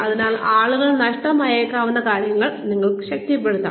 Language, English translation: Malayalam, So, you can reinforce things that, people may have missed